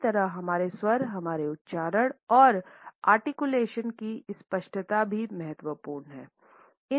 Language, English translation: Hindi, Similarly we find that intonation our tone, our pronunciation, and the clarity of articulation are also important